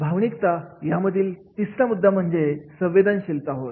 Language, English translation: Marathi, Third aspect in the emotional is that is the sensitivity